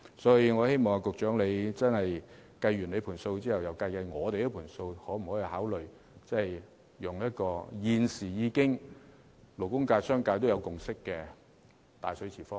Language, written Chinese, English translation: Cantonese, 因此，我希望局長在作出所有估算後，再計算我們在方案中提出的數字，考慮可否採用現時勞工界和商界均已達成共識的"大水池方案"。, Hence I hope the Secretary will having made a complete estimate work on the figures stated in our proposal so as to consider whether the big pool proposal on which a consensus has now been reached between the labour sector and the business sector may be adopted